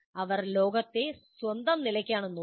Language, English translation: Malayalam, They are looking at the world on their own terms